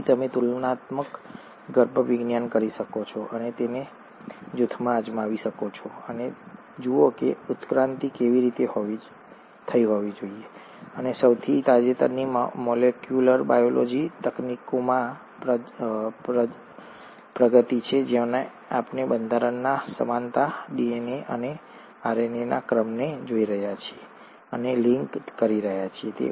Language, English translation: Gujarati, So you can do comparative embryology and try it group and see how evolution must have taken place, and the most recent is the advancements in molecular biology techniques wherein we are looking at the similarities in structure, the sequences of DNA and RNA, and are linking it to the process of evolution